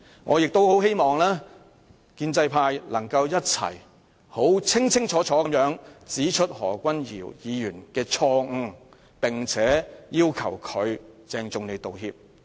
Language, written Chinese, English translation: Cantonese, 我亦希望建制派議員能夠一同清楚指出何君堯議員的錯誤，並要求他鄭重道歉。, I also hope that pro - establishment Members can clearly point out the mistakes of Dr Junius HO together and ask him to tender a solemn apology